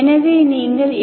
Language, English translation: Tamil, So what is your v